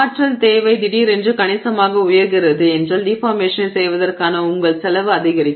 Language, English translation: Tamil, If suddenly the energy requirement is going up significantly then your cost for doing the deformation goes up